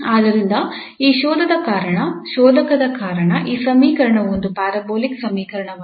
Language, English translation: Kannada, Here it is 0 so this equation falls into the class of parabolic equation